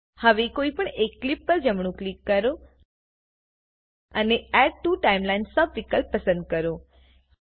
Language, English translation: Gujarati, Now right click on any clip and choose Add to Timeline sub option